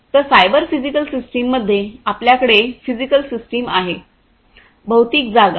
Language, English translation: Marathi, So, in the cyber physical system, you have the physical systems the physical space, you have the cyberspace